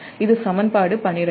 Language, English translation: Tamil, that is equation eighteen